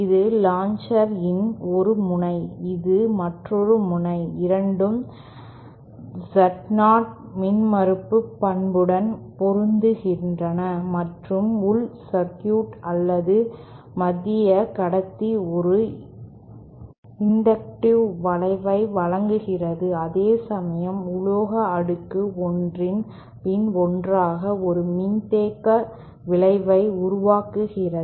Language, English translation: Tamil, This is one end of this launcher, say this and and this is the other end, both are matched to Z0 characteristic impedance and the the inner circuit or the central conductor provides an inductive effect whereas the metal stack one over another produces a capacitive effect